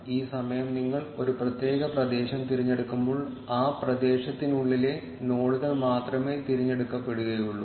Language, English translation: Malayalam, And this time, when you select a particular area, only the nodes within that area will be selected